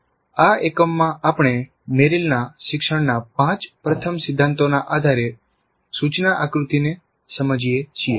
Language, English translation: Gujarati, So in this unit we understand instruction design based on Merrill's five first principles of learning